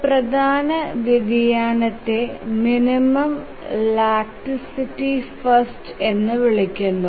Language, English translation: Malayalam, One important variation is called as a minimum laxity first